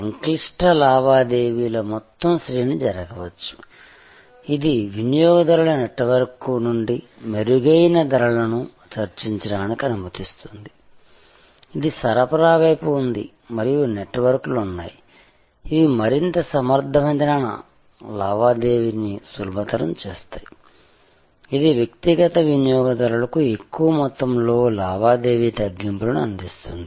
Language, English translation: Telugu, A whole range of complex transactions can take place, which allows the consumer network to negotiate better prices from the network, which is on the supply side and there are networks, which facilitate this more efficient transaction, bringing bulk transaction discount to individual consumers